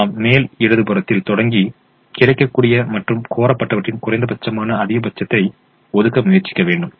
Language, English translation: Tamil, so we start with the top left hand position and we try to allocate whatever maximum possible, which is the minimum of what is available and what is demanded